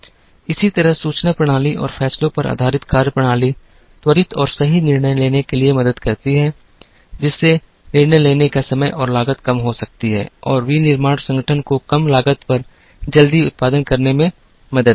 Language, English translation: Hindi, Similarly, methodologies based on information systems and decisions, help in quick and correct decision making, which can reduce the time and cost of making decisions and help the manufacturing organization to produce at less cost quickly